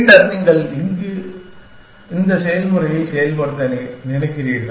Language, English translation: Tamil, And then, you repeat this process